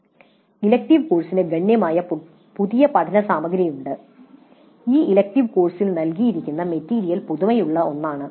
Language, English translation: Malayalam, The elective course has substantially new learning material in the sense that the material provided in this elective course is something novel